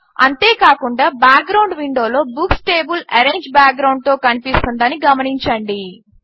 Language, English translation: Telugu, Also notice that in the background window, we see the Books table in an Orange background